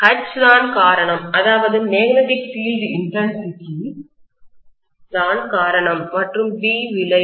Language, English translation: Tamil, H is the cause, magnetic field intensity is the cause and B is the effect